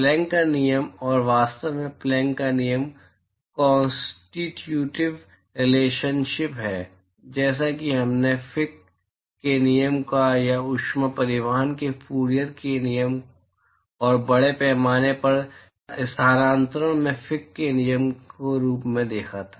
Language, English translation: Hindi, Planck’s law and, in fact, Planck’s law is the constitutive relationship similar to what we saw as we Fick's law or Fourier’s law in heat transport and Fick's law in mass transfer